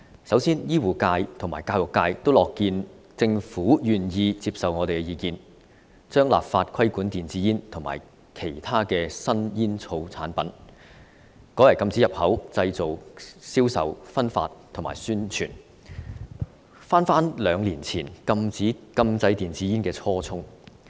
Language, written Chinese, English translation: Cantonese, 首先，醫護界及教育界均樂見政府願意接受我們的意見，將立法規管電子煙及其他新煙草產品，改為禁止入口、製造、銷售、分發及宣傳，回到我們兩年前提出禁制電子煙的初衷。, First of all the medical and education sectors are glad to see that the Government is willing to accept our suggestion to ban the import manufacture sale distribution and advertisement of e - cigarettes and other new smoking products instead of legislating for their regulation thus getting back to the original intention of banning e - cigarettes that we expressed two years ago